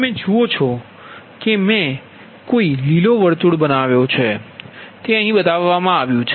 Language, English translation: Gujarati, you see, i made a green circle with a dot right, it is shown here